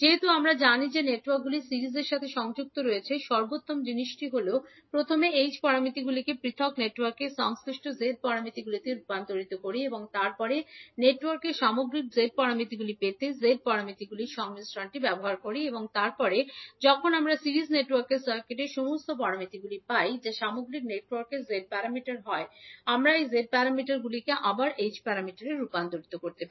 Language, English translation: Bengali, Since we know that the networks are connected in series, the best thing is that let us first convert the H parameters into corresponding Z parameters of individual networks and then use the summation of the Z parameters to get the overall Z parameters of the network and then when we get all the parameters of the circuit for a series network that is the Z parameter of the overall network, we can convert this Z parameter again back into H parameter